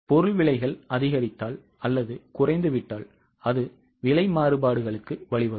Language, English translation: Tamil, If the material prices increase or decrease, it will lead to price variances